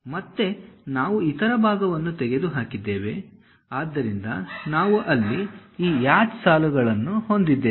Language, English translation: Kannada, Again we have removed material there; so we will be having this hatched lines